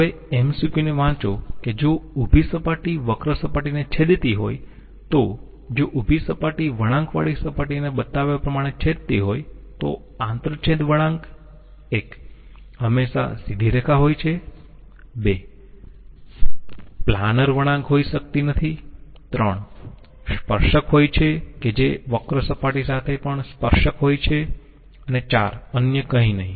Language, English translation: Gujarati, Now, the MCQ reads if a vertical plane cuts a curved surface if a vertical plane cuts a curved surface as shown, the curve of intersection is always a straight line, cannot be a planar curve, has a tangent which is also tangent to the curved surface and none of the others